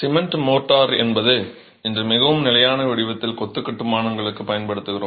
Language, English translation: Tamil, Cement motor is what we use in a very standard form today for mason reconstructions